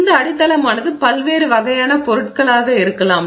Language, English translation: Tamil, And the substrate could be a variety of different materials